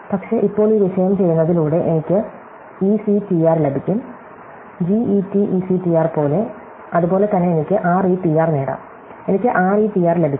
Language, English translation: Malayalam, But, now by doing this topic I can get ectr, like get ectr, similarly I can get retr, I can get retr